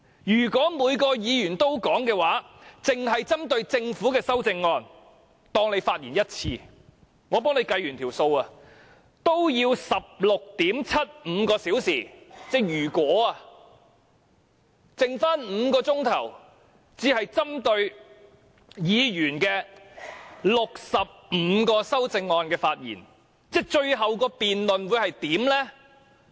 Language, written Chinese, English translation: Cantonese, 如果每位議員都發言，單單針對政府的修正案，每位議員發言一次，我計算過，這樣也需要 16.75 小時，只餘下5小時可就議員的65項修正案發言，最後這項辯論會怎樣呢？, I have done some computations and found that if every Member speaks just once on the Governments amendments it will already take 16.75 hours . Only five hours will be left for speaking on the 65 amendments proposed by Members . How will such a debate end up?